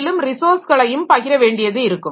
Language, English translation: Tamil, And they have to share resources also